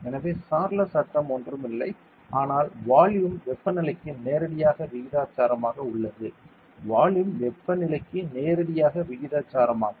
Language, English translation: Tamil, So, Charles law is nothing, but volume is directly proportional to the temperature; volume is directly proportional to the temperature